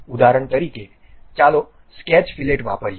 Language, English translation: Gujarati, For example, let us use Sketch Fillet